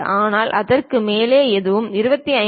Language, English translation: Tamil, But anything above that maybe 25